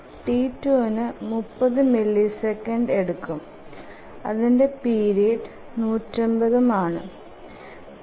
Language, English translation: Malayalam, T2 takes 30 milliseconds and 150 milliseconds is the period